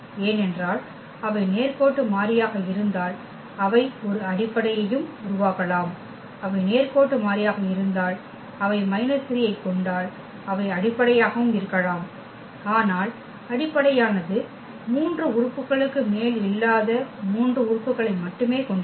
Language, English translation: Tamil, Because, if they are linearly independent then they can form a basis also, if they are linearly independent and they span the R 3 then they can be also basis, but basis will have only 3 elements not more than 3 elements